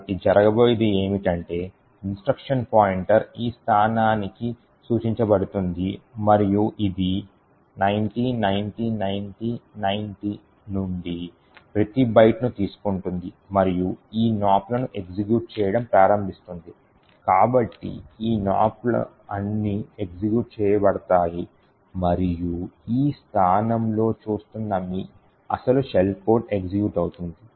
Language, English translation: Telugu, So what is going to happen is that the instruction pointer would point to this location and it would pick up each byte from here this is 90909090 and start executing this Nops so all of this Nops gets executed and then your actual shell code which is staring at this location would then get executed